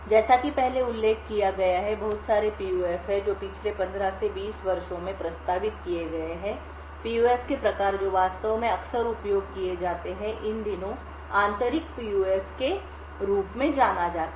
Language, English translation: Hindi, As mentioned before So, there are lots of PUFs which have been proposed in the last 15 to 20 years, types of PUFs which are actually been used quite often these days something known as Intrinsic PUFs